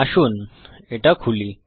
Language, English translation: Bengali, Let me open it